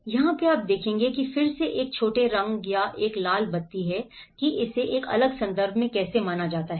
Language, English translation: Hindi, So this is where again even a small colour or a red light how it is perceived in a different context